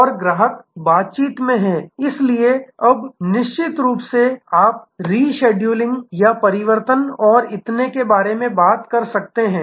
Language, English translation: Hindi, And the customer in interaction therefore, now proactively you can talk about in scheduling or changes and so on